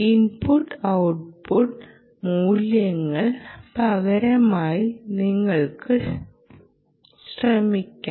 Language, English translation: Malayalam, you can try by substituting input output values